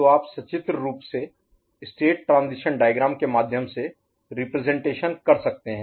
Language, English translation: Hindi, So you can represent through pictorially through state transition diagram